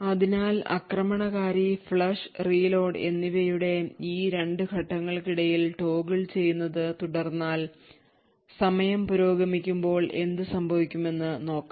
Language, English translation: Malayalam, So while the attacker keeps toggling between these 2 steps of flush and reload, we would see what happens as time progresses